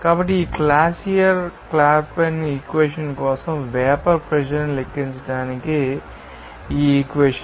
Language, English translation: Telugu, So, this equation will be used to calculate to the vapour pressure as for this Clausius Clapeyron equation